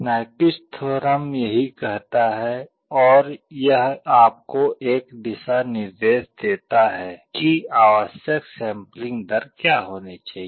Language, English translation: Hindi, This is what Nyquist theorem says and this gives you a guideline what should be the required sampling rate